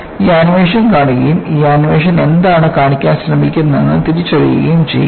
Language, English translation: Malayalam, Just, watch this animation and identify what this animation is trying to show